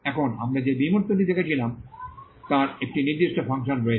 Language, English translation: Bengali, Now, the abstract we had seen has a particular function